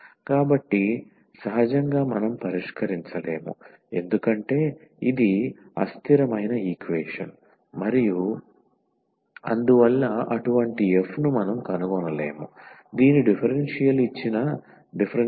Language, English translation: Telugu, So, naturally we cannot solve because this is inconsistent equation and hence we cannot find such a f whose differential is the given differential equation